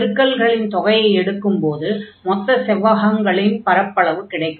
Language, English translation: Tamil, So, what is this product, this product will give the area of this rectangle here